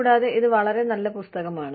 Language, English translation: Malayalam, And, it is a very good book